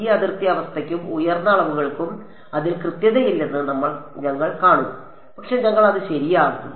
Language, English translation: Malayalam, We will see that this boundary condition and higher dimensions has an inaccuracy in it ok, but we will come to that alright